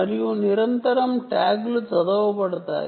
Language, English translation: Telugu, tags to be read many times